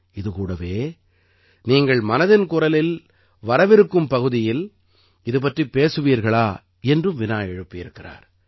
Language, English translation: Tamil, She's also asked if you could discuss this in the upcoming episode of 'Mann Ki Baat'